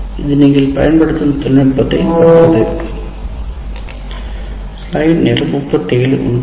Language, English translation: Tamil, It depends on the kind of technology that you are using